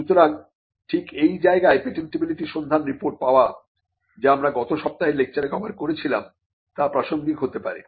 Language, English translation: Bengali, So, this is where getting a patentability search report something which we covered in last week’s lecture would become relevant